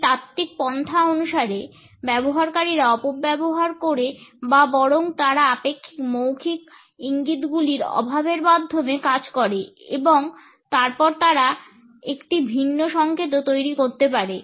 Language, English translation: Bengali, According to these theoretical approaches, users exploit or rather they work through the relative lack of nonverbal cues and then they can also develop a different set of cues